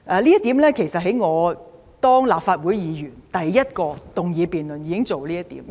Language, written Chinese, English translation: Cantonese, 這點其實在我出任立法會議員進行第一項議案辯論時已經提出。, In fact I put forward this proposal in the very first debate in which I participated after becoming a Member of the Legislative Council